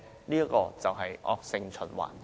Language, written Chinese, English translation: Cantonese, 這就是惡性循環。, This is indeed a vicious circle